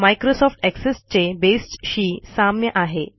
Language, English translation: Marathi, Base is the equivalent of Microsoft Access